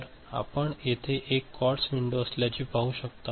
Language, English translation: Marathi, So, this is of course, you can see there is a quartz window over here